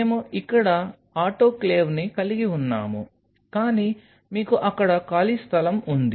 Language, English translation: Telugu, So, we have the autoclave here, but then you have a space out there